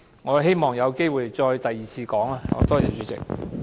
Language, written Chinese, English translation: Cantonese, 我希望有機會再作第二次發言。, I wish to have the chance to speak a second time